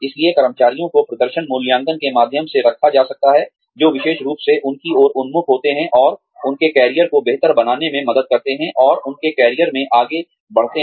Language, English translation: Hindi, So, employees could be, put through performance appraisals, that are specifically oriented towards, and geared towards, helping them improve their careers, and advance in their careers